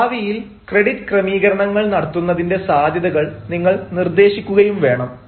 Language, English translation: Malayalam, you have to suggest the possibility of making credit arrangements in future